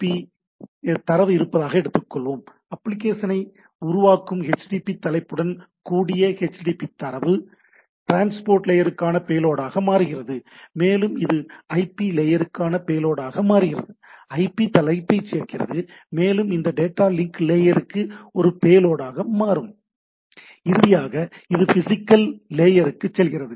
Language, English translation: Tamil, So HTTP data along with the HTTP header which creates the application it becomes a payload for the transport layer, it becomes a payload for IP layer, adds the IP header and it becomes a payload for this data link layer and finally, it goes to the physical layer and where the things are being transmitted, right